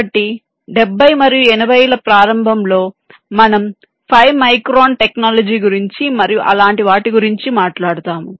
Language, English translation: Telugu, ok, so in the beginning, in the seventies and eighties, we used to talk about five micron technology and things like that